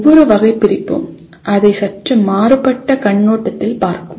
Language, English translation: Tamil, Each taxonomy will look at it from a slightly different perspective